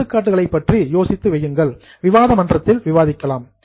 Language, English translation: Tamil, Think of the examples and they will be discussed on the discussion forum